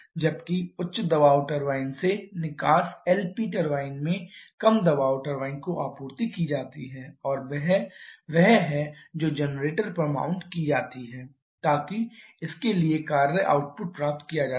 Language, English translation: Hindi, Whereas the exhaust from the high pressure turbine the supplied to the low pressure turbine in LP turbine and that is the one that is mounted on the generator to get the work output for this